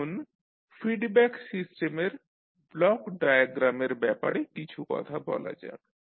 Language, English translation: Bengali, Now, let us talk about the block diagram of the feedback system